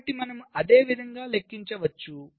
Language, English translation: Telugu, so this you can calculate similarly